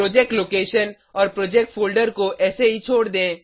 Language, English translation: Hindi, Leave the Project location and project folder as it is Then, Click on Next